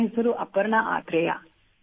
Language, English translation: Kannada, I am Aparna Athare